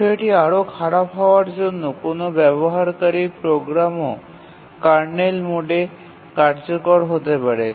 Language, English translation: Bengali, To make the matter worse, even a user program can execute in kernel mode